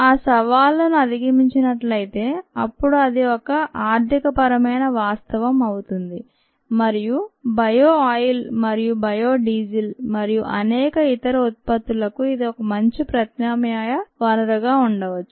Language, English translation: Telugu, those challenges are overcome, then it could be an economic reality and, ah, this could be a very good alternative source for bio oil and biodiesel and many other products